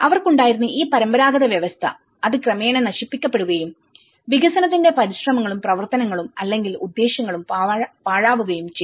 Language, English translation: Malayalam, They have this traditional system, so that has gradually destroyed and the efforts and actions or intentions of the development have been wasted